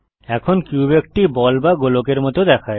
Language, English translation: Bengali, Now the cube looks like a ball or sphere